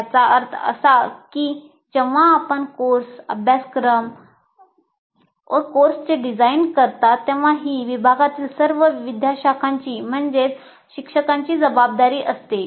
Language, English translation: Marathi, That means when you are designing the curriculum or syllabus or courses of your core courses, it is actually the responsibility for all the faculty of the department